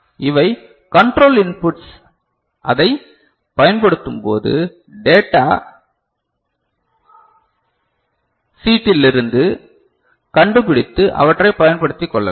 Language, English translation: Tamil, These are the control inputs as and when you use it, you find out from the data sheet and make use of them, ok